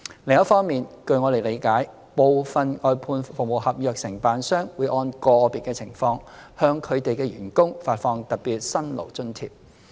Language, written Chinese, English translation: Cantonese, 另一方面，據我們理解，部分外判服務合約承辦商會按個別情況，向他們的員工發放特別辛勞津貼。, On the other hand as we understand some service contractors would grant a special hardship allowance to their employees according to individual circumstances